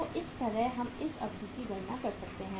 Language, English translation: Hindi, So this way we can calculate this duration